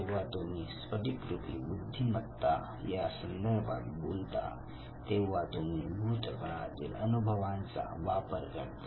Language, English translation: Marathi, When it comes to Crystallised intelligence basically you use your past experience